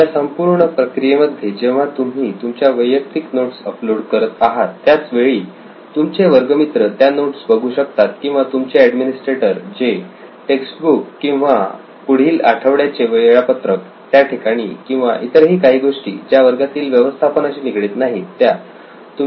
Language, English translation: Marathi, So in this entire process while you uploading your personal notes into the cloud where your classmates can access it or your administrator himself or herself putting in the text book or sharing your next week’s timetable or anything irrespective of class management